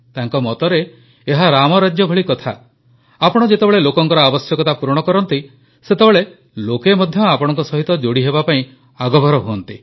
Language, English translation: Odia, He states that these are matters related to Ram Rajya, when you fulfill the needs of the people, the people start connecting with you